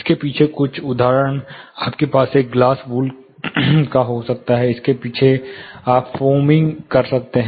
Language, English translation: Hindi, Some examples you can have glass wool backing behind this, you can foam backing behind this